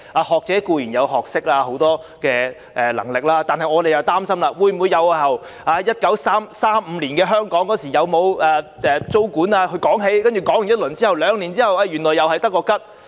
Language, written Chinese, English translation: Cantonese, 學者固然有學識，亦很有能力，但我們擔心會否由1935年的香港有否租管說起，然後兩年後原來又是空談？, Scholars are certainly knowledgeable and competent too but we are concerned about whether the Task Force would start from looking into whether or not there was tenancy control in Hong Kong in 1935 and then it would all turn out to be just empty talk two years down the line